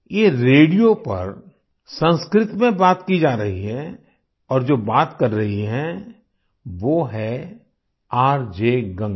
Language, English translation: Hindi, This was Sanskrit being spoken on the radio and the one speaking was RJ Ganga